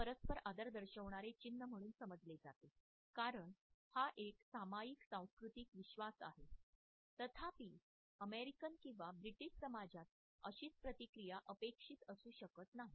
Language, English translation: Marathi, It is understood as a sign of mutual respect because this is a commonly shared cultural belief; however, one cannot expect the same reaction in an American or a British society